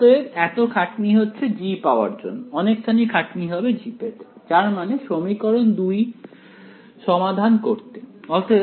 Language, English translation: Bengali, So, all the hard work goes into finding out g, a lot of hard work will go into finding out g that is solving equation 2